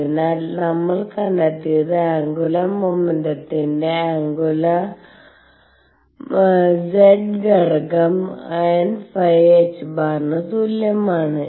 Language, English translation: Malayalam, So, what we have found is that the angular momentum z component of angular momentum is equal to n phi h cross